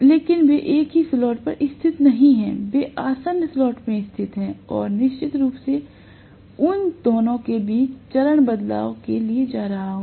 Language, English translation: Hindi, But they are not located at the same slot; they are located at adjacent slots and I am going to have definitely of phase shift between them